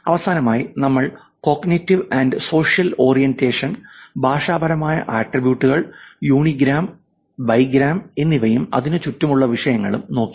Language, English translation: Malayalam, Finally, we looked at cognitive and social orientation, linguistic attributes, unigram, and bigram, and topics around that